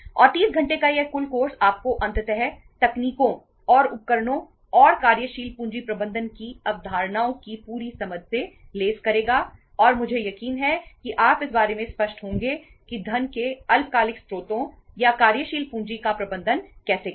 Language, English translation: Hindi, And this total course of 30 hours would would finally make you equipped with the techniques and tools and the complete understanding with the concepts of working capital management and Iím sure that youíll be clear about that how to manage the short term sources of funds or the working capital finance